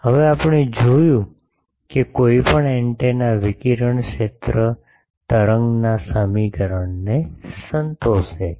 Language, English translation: Gujarati, Now we have seen that any antenna, the radiated field satisfies the wave equation